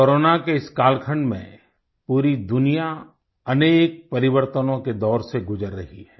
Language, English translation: Hindi, During this ongoing period of Corona, the whole world is going through numerous phases of transformation